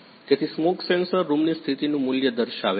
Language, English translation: Gujarati, So, smoke sensor show the value of the room condition